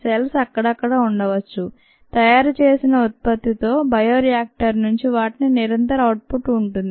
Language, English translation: Telugu, the cells could be here and there is a continuous output from the bioreactor with the product made